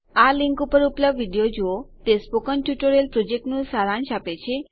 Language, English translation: Gujarati, Watch the video available at this web site, it summarizes the spoken tutorial project